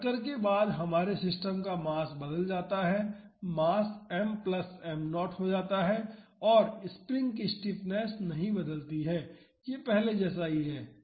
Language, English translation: Hindi, So, after the impact the mass of our system changes the mass becomes m plus m naught and the stiffness of the spring does not change it is same as the previous